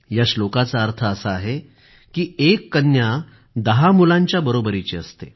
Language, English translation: Marathi, This means, a daughter is the equivalent of ten sons